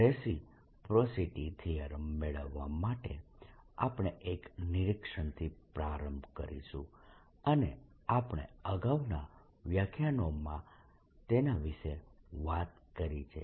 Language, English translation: Gujarati, to derive reciprocity theorem, we'll start with an observation and we have talked about in earlier lectures